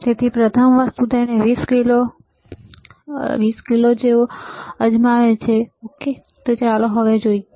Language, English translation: Gujarati, So, the first thing he has tried 20 kilo ok, let us see now